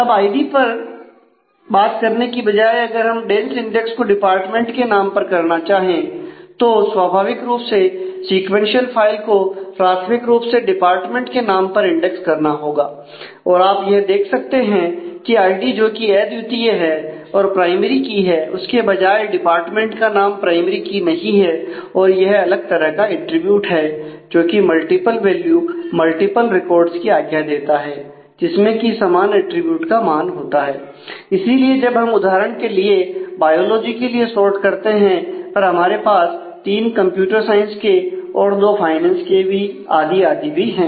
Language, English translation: Hindi, Now, instead of doing id if I want to do a dense index on department name, then naturally the sequential file has to be indexed primarily on the department name and as you can note that unlike the id which is also the primary key and therefore, every id value was unique the department name is not a primary key it is a different attribute which allows for multiple value multiple records having the same attribute value and therefore, when we sort we have one instance of biology, but three of computer science two of finance and so, on